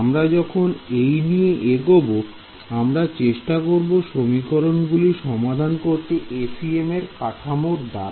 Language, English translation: Bengali, So, when we will continue subsequently with trying to solve this equation using the FEM framework clear so far